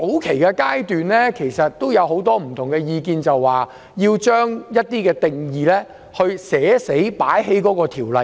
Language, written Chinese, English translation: Cantonese, 其實在早期有很多不同意見，認為要將一些定義納入條例之中。, In fact there were quite a lot of different opinions at the early stage suggesting that some definitions should be incorporated into the eventual ordinance